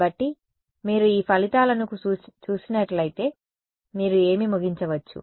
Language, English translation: Telugu, So, if you saw these results what would you conclude